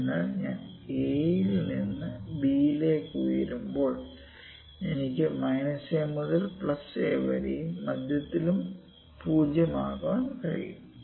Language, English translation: Malayalam, So, as I height from a to b I can even put from minus a to a and centre at 0, ok